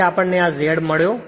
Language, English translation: Gujarati, Therefore, this is my Z we got